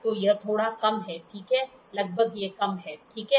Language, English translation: Hindi, So, it is slightly less, ok, approximately it is less, ok